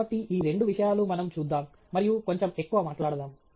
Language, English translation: Telugu, So, these are two things that we will look at and highlight a little bit more